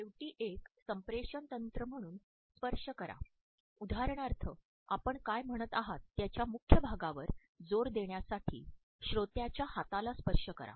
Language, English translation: Marathi, Lastly use touching as a communication technique, for example touch the listener on the forearm to add emphasis to key parts of what you are saying